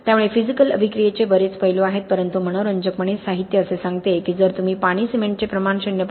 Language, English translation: Marathi, So there are lot of aspects of physical attack, but interestingly literature says that if you go for water cement ratios less than 0